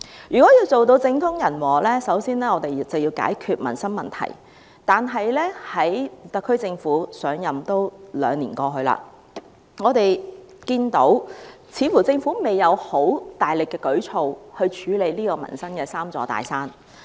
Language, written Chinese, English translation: Cantonese, 若要做到政通人和，我們首先要解決民生問題，但現屆特區政府上任已經兩年，我們看見政府似乎未有很大力的舉措去處理民生的"三座大山"。, If we were to achieve stability in politics and harmony in society the prime task is to resolve the livelihood problems Yet though the current - term SAR Government has already taken office for two years we can see that the Government does not seem to have any vigorous measures to deal with the three big mountains in peoples livelihood